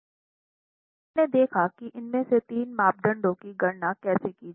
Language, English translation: Hindi, So, we have seen how three of these parameters have to be calculated